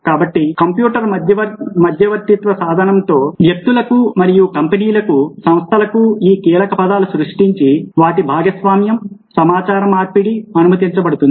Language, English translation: Telugu, so it is the computer mediated tool that allows people, people and companies, organization, to create these are the keywords share, exchange information